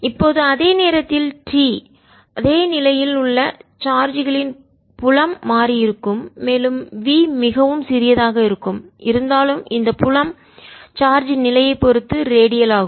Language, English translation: Tamil, now in this same time t, since the charges in same position, the field also has change and v is very small though the field is going to be redial about this position of charge